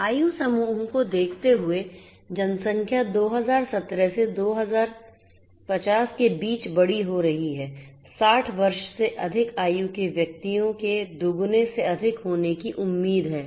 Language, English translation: Hindi, Looking at the age groups populations are growing older, between 2017 to 2050; 2017 to 2050, the persons aged 60 years over are expected to increase more than double